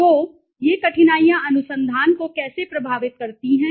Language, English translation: Hindi, So how do these difficulties influence the research